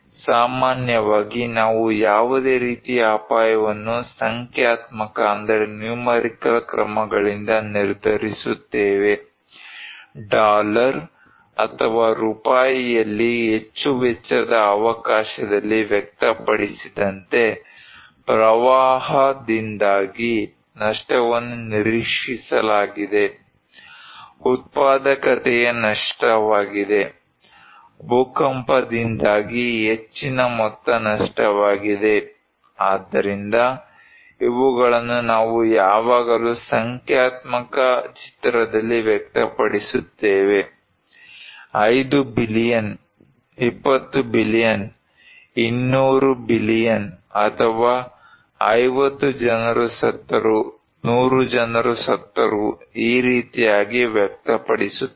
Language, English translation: Kannada, Generally, we determine any kind of risk by numerical measures, like expressed in chance of that much cost in dollar or in rupees, loss is expected to due to a flood, a loss of productivity has been lost, that much of amount due to earthquake so, these always we express in numerical figure; 5 billion, 20 billion, 200 billion, or, 50 people died, 100 people died like that